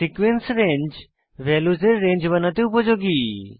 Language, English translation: Bengali, Sequence range is used to create a range of successive values